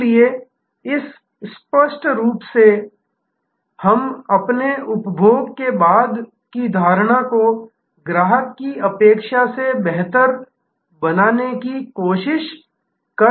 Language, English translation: Hindi, So, in this obviously we are trying to have our post consumption perception much better than customer expectation